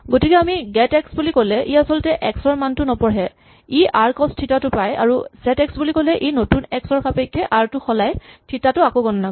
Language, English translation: Assamese, So, when we say get x, for instance, it does not actually read the x value, it gets r cos theta and we say set x it will change the r to account for the new x and recompute the theta